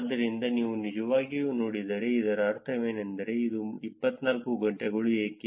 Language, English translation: Kannada, So, if you really look at what does it mean why is it 24 hours